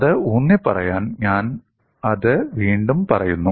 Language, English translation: Malayalam, In order to emphasize that, I am saying it again